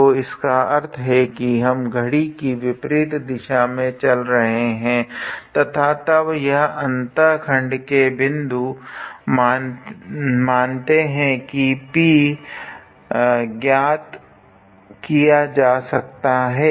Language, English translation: Hindi, So, that means, we are walking in the anticlockwise direction and then this point of intersection let us say P can be obtained